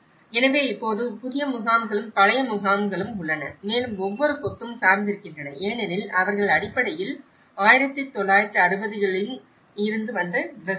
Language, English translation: Tamil, So, now, one is you have the new camps and the old camps and each cluster has been oriented because they are basically, the farmers in that time when they came to 1960s